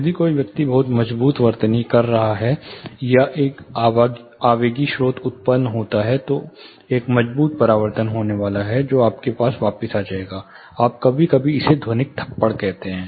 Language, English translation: Hindi, If a person is spelling a very strong, or an impulsive source is produced, there is going to be a strong reflection, which will come back to him, you sometimes call it slap, acoustic slap